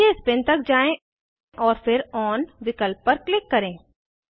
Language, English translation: Hindi, Scroll down to Spin and then click on option On